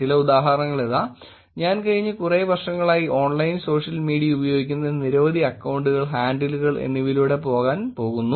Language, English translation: Malayalam, Here are some examples, I am going to go through a lot of accounts, handles which has been using Online Social Media in the last few years